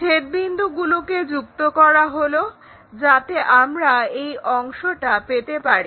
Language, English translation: Bengali, So, intersection point join, so that we will have this part